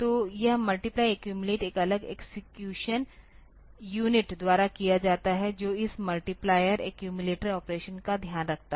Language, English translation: Hindi, So, this multiply accumulate is a done by a separate execution unit that takes care of this multiplier accumulator operation